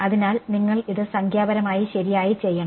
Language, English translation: Malayalam, So, you have to do this numerically right